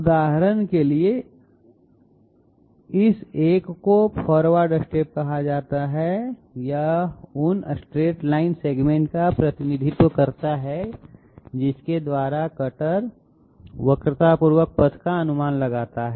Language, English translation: Hindi, For example, this one is called the forward step, what is this; it represents those straight line segments by which the cutter approximates the curvilinear path